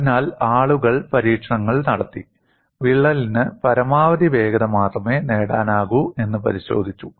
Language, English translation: Malayalam, So, people have conducted experiments and verified that the crack can attain only a maximum velocity